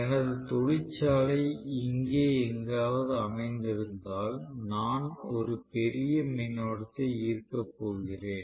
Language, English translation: Tamil, So, if my factory is located somewhere here and I am going to draw a huge current right